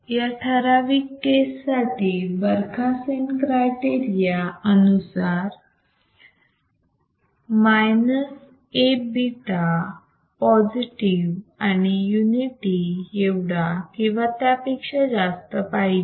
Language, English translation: Marathi, ISo, in this particular case, according to Barkhausen criteria, minus A beta must be positive and must be greater than or equal to unity right